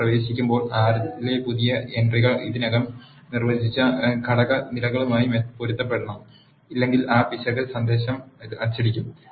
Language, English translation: Malayalam, New entries in R when you are entering should be consistent with the factor levels that are already defined if not those error message will be printed out